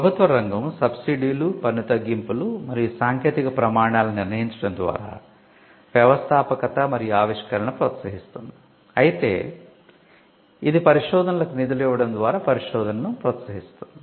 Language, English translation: Telugu, The public sector incentivizes entrepreneurship and innovation through subsides, tax cuts and setting technical standards, but it also pushes a research in publicly funded institutions by giving funds for research